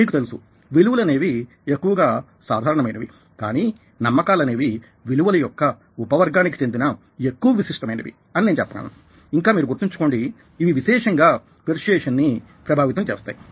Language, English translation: Telugu, you know values can be more generic, whereas believes are more specific, subcategory, i would say, of values and, mind you, these significantly influence persuasion